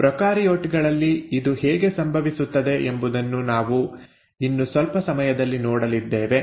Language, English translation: Kannada, We will also see how it happens in prokaryotes in a bit